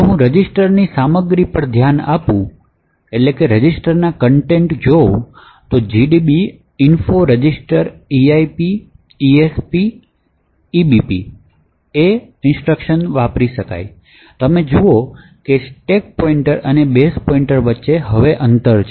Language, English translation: Gujarati, So if I look at the contents of the registers info registers eip, esp and ebp, you see that there is a distance between the stack pointer and the corresponding base pointer